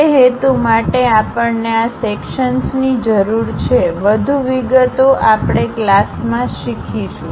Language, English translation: Gujarati, For that purpose, we require these sections; more details we will learn during the class